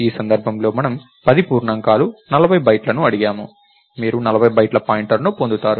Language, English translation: Telugu, 10 integers 40 bytes, you will get a pointer to 40 bytes